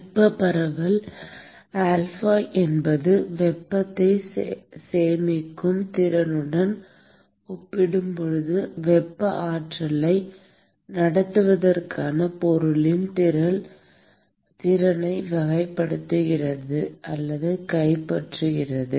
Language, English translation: Tamil, Thermal diffusivity alpha essentially characterizes or captures the ability of the material to conduct thermal energy relative to its ability to store heat